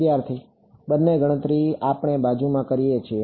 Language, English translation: Gujarati, Both the calculations we within the side